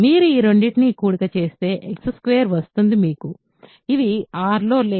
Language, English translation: Telugu, If you add these two, you get X square which is not in R right